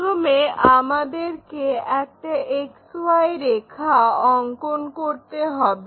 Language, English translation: Bengali, First thing, we have to draw a XY line, X line, Y line